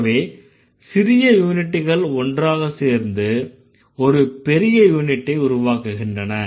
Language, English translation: Tamil, So, the small units together, they are actually creating bigger units